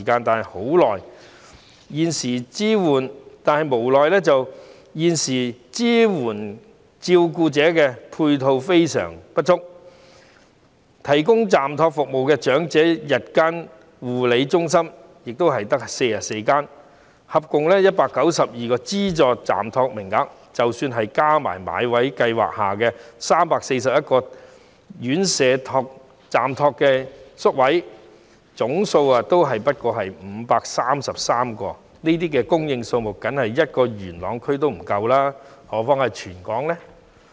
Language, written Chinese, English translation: Cantonese, 但無奈地，現時支援照顧者的配套相當不足，提供暫託服務的長者日間護理中心只有44間，合共192個資助暫託名額，即使再加上買位計劃下的341個院舍暫託宿位，總數也只有533個，這個宿位數目連只服務元朗區也不足夠，更何況是服務全香港呢？, But sadly the current facilities for supporting carers are rather insufficient with only 44 day care centres for the elderly providing respite service and a total of 192 subvented respite service places . Even with the addition of 341 respite service places of residential care homes under the Enhanced Bought Place Scheme the total number of places is merely 533 which is not enough for serving a single Yuen Long district let alone serving the entire Hong Kong